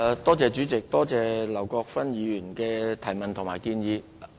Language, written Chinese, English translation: Cantonese, 多謝劉國勳議員的補充質詢和建議。, I thank Mr LAU Kwok - fan for his supplementary question and suggestions